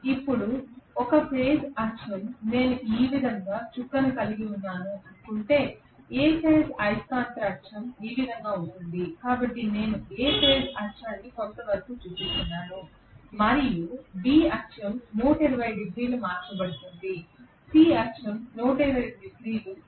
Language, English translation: Telugu, Now, A phase axis if I assume that I am having the dot like this the A phase magnetic field axis will be this way, so I am just showing the A phase axis some what like this and B axis will be 120 degrees shifted, C axis will be 120 degrees shifted further that is it right